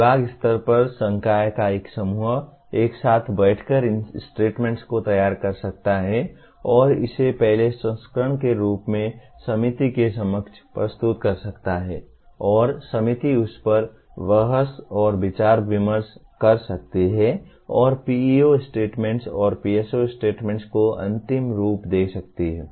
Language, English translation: Hindi, At department level, a group of faculty can sit together and prepare these statements and present it to the committee as the first version and the committee can debate/deliberate over that and finalize the PEO statements and PSO statements